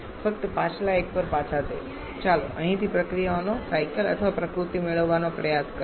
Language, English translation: Gujarati, Just going back to the previous one just let us try to get the cycles or nature of the processes from here